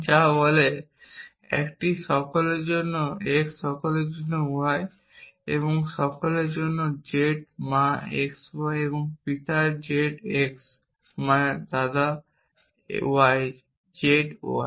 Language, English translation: Bengali, Then you could have a role which says a for all x for all y and for all z mother x y and father z x implies grandfather z y